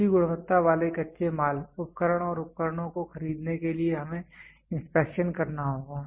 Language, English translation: Hindi, To purchase good quality raw materials, tools and equipments we need to do inspection